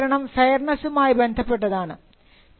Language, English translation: Malayalam, The third justification is one of fairness